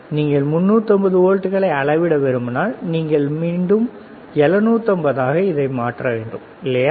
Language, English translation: Tamil, If you want to measure 350 volts, you have to convert back to 7 50, all right